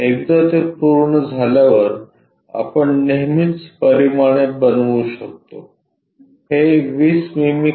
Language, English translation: Marathi, Once it is done we can always make dimensions this one 20 mm below